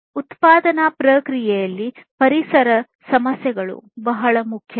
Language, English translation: Kannada, So, environmental issues are very important in the manufacturing process